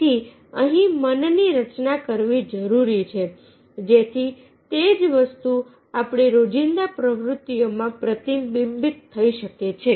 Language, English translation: Gujarati, so here it requires the moulding of the mind so that the same thing can be reflected in our day to day activities